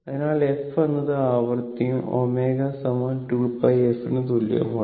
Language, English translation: Malayalam, So, f is the frequency and omega is equal to 2 pi f